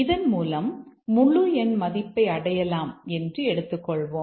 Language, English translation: Tamil, Maybe we are recovering the integer value of C